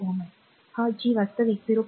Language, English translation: Marathi, 1 ohm, this G is actually sorry 0